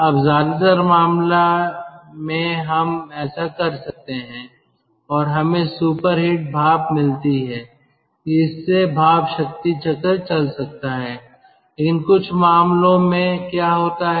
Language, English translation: Hindi, most of the cases we can do that and get this steam, gets super heater steam and our steam power cycle can run